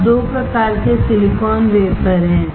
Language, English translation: Hindi, Now, there are 2 types of silicon wafer